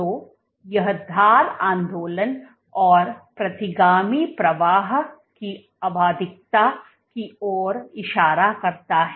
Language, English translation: Hindi, So, this points out to a periodicity of edge movement and retrograde flow